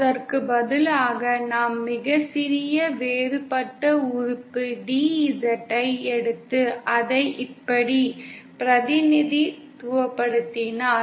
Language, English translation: Tamil, Instead, if we just take a very small, a differential element DZ and represent it like this